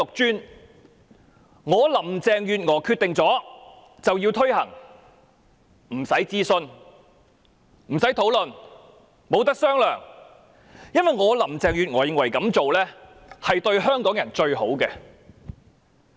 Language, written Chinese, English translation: Cantonese, 只要是她林鄭月娥決定了的便要推行，不用諮詢和討論，亦不容磋商，因為她認為這樣做才對香港人最好。, As long as she Carrie LAM has made her decision she need not consult and discuss with anyone else . She allows no negotiation because she thinks that her way is the best for Hong Kong people